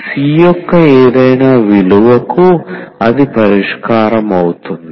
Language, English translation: Telugu, For any value of C, that will be the solution